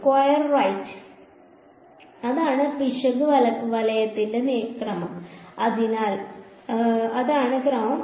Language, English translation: Malayalam, Squared right h squared f prime this is the order of the error right; so, that is the order